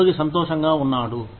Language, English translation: Telugu, The employee is happy